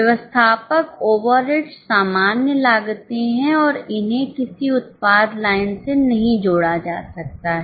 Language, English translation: Hindi, Admin over eds are common costs and cannot be linked to any product line